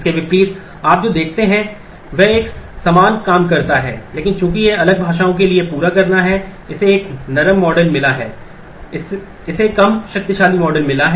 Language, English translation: Hindi, What you the see in contrast does a similar thing, but since it is to cater for different languages it has got a softer model it has got less powerful model